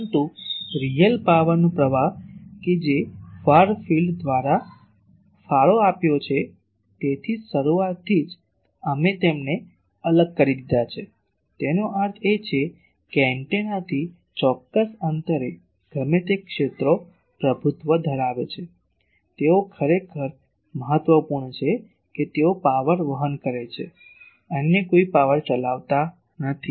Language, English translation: Gujarati, But real power flow that is contributed by far field that is why from the very beginning we have separated them; that means, at a certain distance from the antenna, whatever fields dominate, they are actually important they carry power others do not carry any power